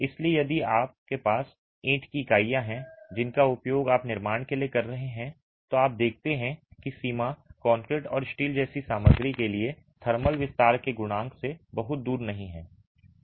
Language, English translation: Hindi, So, if you have clay brick units that you are using for construction, you see that the range is not too far from the coefficient of thermal expansion for material like concrete and steel